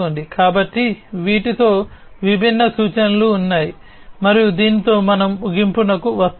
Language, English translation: Telugu, So, with these are the different references and with this we come to an end